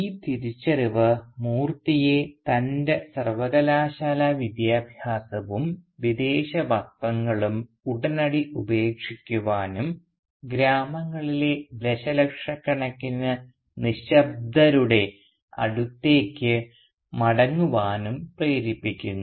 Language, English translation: Malayalam, And this realisation makes Moorthy promptly give up both his university education as well as his foreign clothes and return to the dumb millions of the villages